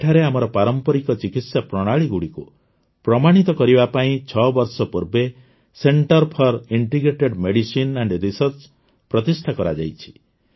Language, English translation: Odia, Here, the Center for Integrative Medicine and Research was established six years ago to validate our traditional medical practices